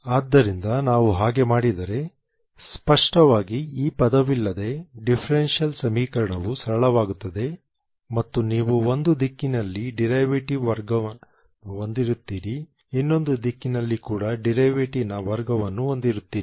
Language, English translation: Kannada, So if we do that obviously the differential equation simplifies without this term and you have a derivative square in one direction a derivative square in another direction and then you have the si of x y